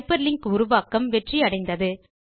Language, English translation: Tamil, This means that the hyperlinking was successful